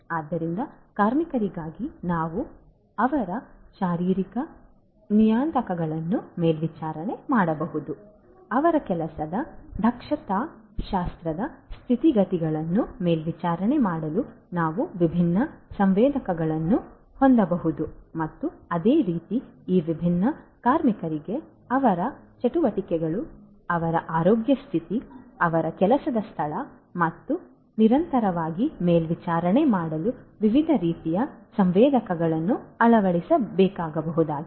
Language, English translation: Kannada, So, for workers we can monitor their physiological parameters, we could have different sensors to monitor their ergonomic conditions of work and likewise these different workers could be fitted with diverse types of sensors for continuously monitoring their activities, their health status, their workplace and so on